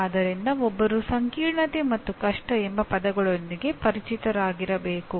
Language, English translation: Kannada, So the two words that one has to be familiar with, complexity and difficulty